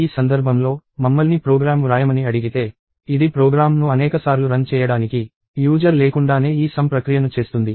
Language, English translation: Telugu, In this case, we are asked to write a program, which will do this whole process without having the user to run the program multiple times